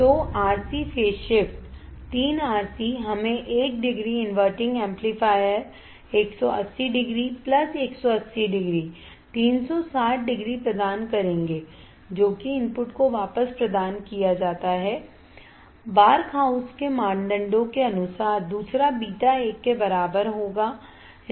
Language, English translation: Hindi, So, RC phase shift 3 RC will give us one degree inverting amplifier 180 degree 180 plus 180 360 degree that is provided back to the input Barkhausen criteria is satisfied second one is a beta equal to 1 is satisfied